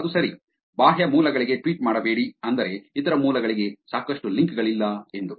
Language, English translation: Kannada, That is is right, do not tweet to external sources which is, there is not a lot of links to other sources